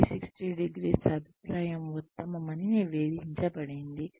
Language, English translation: Telugu, 360ø feedback is reported to be the best